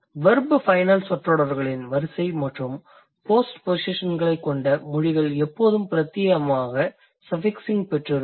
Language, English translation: Tamil, Languages that have verb final sentence order and pospositions are almost always exclusively suffixing